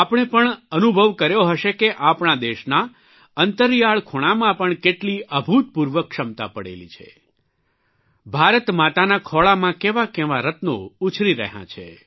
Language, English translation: Gujarati, You too must have experienced that even in the remotest corners of our country, there lies vast, unparalleled potential myriad gems are being nurtured, ensconced in the lap of Mother India